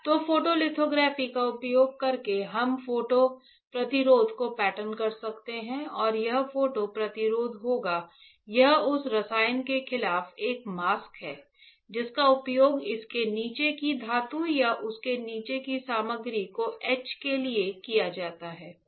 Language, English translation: Hindi, So, photolithography using photolithography, we can pattern the photo resist and this photo resist will it is a mask against the chemical that is used to etch the metal below it or a material below it